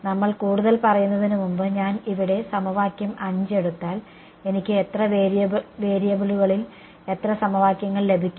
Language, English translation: Malayalam, Before we further if I take equation 5 over here how many equations in how many variables will I get